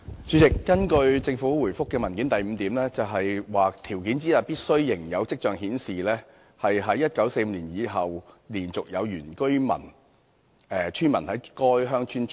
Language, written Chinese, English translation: Cantonese, 主席，根據政府主體答覆的第 v 項，條件之一是"必須仍有跡象顯示，自1945年以來連續有原居村民在該鄉村聚居"。, President according to item v of the Governments main reply one of the conditions being there must be signs of continuous habitation by indigenous villagers within the village since 1945